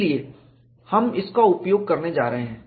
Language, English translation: Hindi, That is what we are going to use